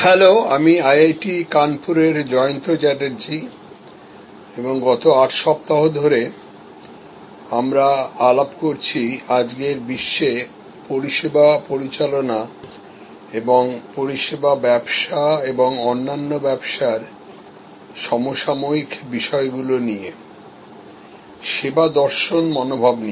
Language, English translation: Bengali, Hello, I am Jayanta Chatterjee from IIT, Kanpur and we are interacting now for these 8 weeks on services management and the contemporary issues in today’s world in the service business and in all businesses, looking at them with the service philosophy